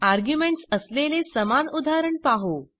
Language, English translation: Marathi, Let us see the same example with arguments